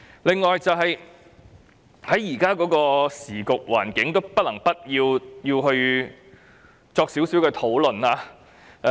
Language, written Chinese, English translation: Cantonese, 另外，在現在的時局環境下，不能不作一點討論。, Besides under current circumstances we cannot avoid some discussion